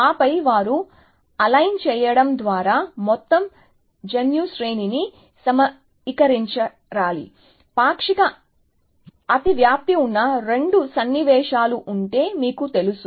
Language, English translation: Telugu, And then they have to assemble the whole genome sequence by aligning, you know, if there are two sequences which have a partial overlap